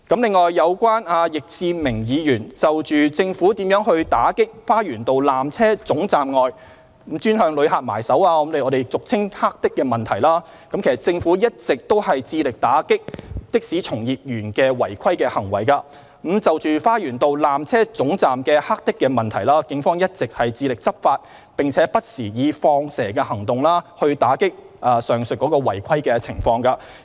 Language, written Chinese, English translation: Cantonese, 另外，有關易志明議員就政府如何打擊花園道纜車總站外專門向旅客下手、俗稱"黑的"的問題，政府一直致力打擊的士從業員的違規行為；就着花園道纜車總站的"黑的"問題，警方一直致力執法，並不時採取"放蛇"行動，以打擊上述違規情況。, On the other hand regarding Mr Frankie YICKs question on how the Government cracks down on the black taxis as commonly called that target tourists outside the Lower Terminus the Government is engaged in ongoing efforts to combat irregularities committed by members of the taxi industry